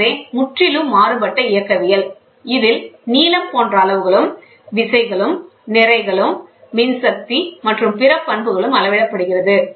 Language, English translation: Tamil, So, completely different dynamics, it includes length or size measured as well as measurement of force, mass electrical and other properties we measure